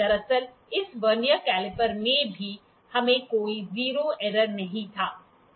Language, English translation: Hindi, Actually in this Vernier caliper also we did not have any zero error